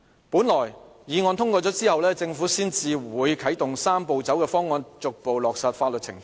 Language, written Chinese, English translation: Cantonese, 本來議案通過之後，政府才會啟動"三步走"的方案，逐步落實法律程序。, According to the original schedule the Government would kick off the Three - step Process after the passage of this motion to allow for the implementation of the legal procedures step by step